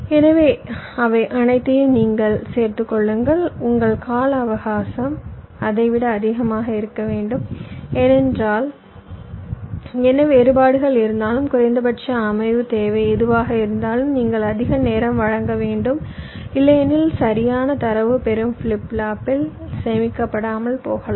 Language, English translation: Tamil, your time period should be at least greater than that, because whatever variations can be there and whatever minimum setup requirement is there, you must provide that much time, otherwise the correct data may not get stored in the receiving flip flop, right, ok